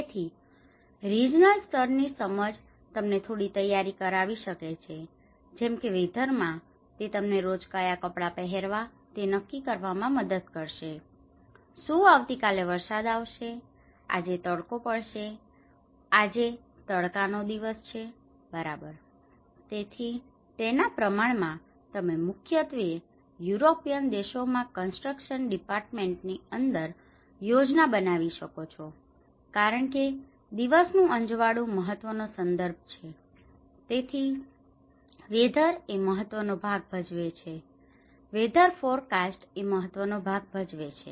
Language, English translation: Gujarati, Whereas in a weather, it helps you to decide what clothes to wear each day, is it going to rain tomorrow, is it going to get sunshine today, is it a sunny day today right, so accordingly you can even plan especially in a construction department in the European countries because daylighting is an important aspect so, weather plays an important role, weather forecast plays an important role